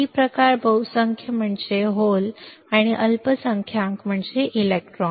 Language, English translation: Marathi, What is that P type majority are holes and minority are electrons